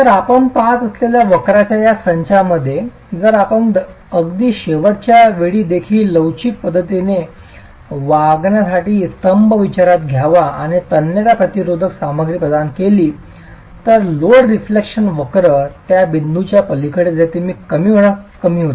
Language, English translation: Marathi, So, in this set of curves that you see, if we were to consider the column to behave in an elastic manner even at ultimate and provide it with, provide the material with tensile resistance, then the load deflection curves beyond the point where the continuous lines start reducing